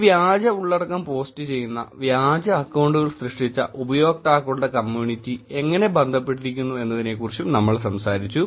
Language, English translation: Malayalam, We also talked about how the community of users who are posting this fake content, who created fake accounts, how they are connected